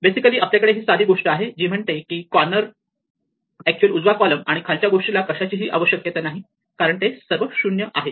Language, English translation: Marathi, We can basically, we have this simple thing which says that the corner and the actually the right column and the bottom thing do not require anything and we know that because those are all 0s